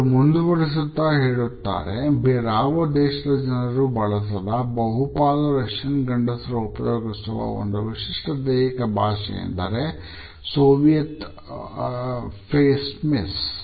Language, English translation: Kannada, He added there were a one specific type of body language used by Russians mostly men and by no other nations that is a Soviet face miss